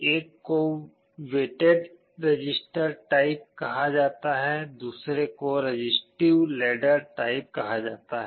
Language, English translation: Hindi, One is called weighted resistor type, other is called resistive ladder type